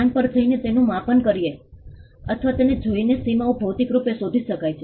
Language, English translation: Gujarati, The boundaries can be ascertained physically by going to the location and measuring it or looking at it